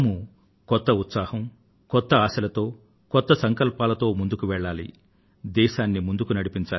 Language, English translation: Telugu, Let us move forward with all renewed zeal, enthusiasm, fervor and new resolve